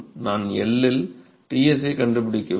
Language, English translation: Tamil, I need to find Ts at L